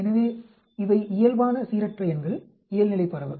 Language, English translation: Tamil, So, this is a normal random numbers, normal distribution